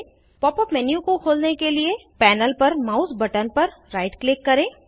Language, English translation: Hindi, To open the Pop up menu, right click the mouse button on the panel